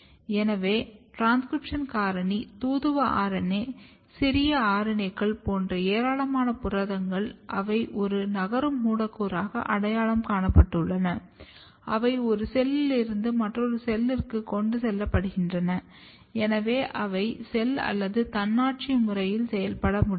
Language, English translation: Tamil, So, large number of proteins like transcription factor, messenger RNA, small RNAs, they have been identified as a mobile molecule, they get transported from one cell to another cell, and they can therefore, work in a non cell autonomous manner